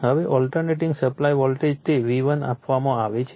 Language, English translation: Gujarati, Now, an alternating supply voltage it is a V1 is given right